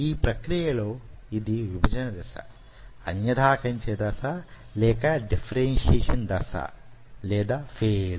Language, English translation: Telugu, now, in this process, this is which is the division phase, this is which is the differentiation phase